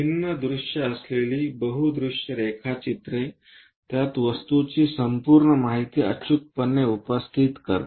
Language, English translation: Marathi, A multi view drawing having different views it accurately presence the object complete details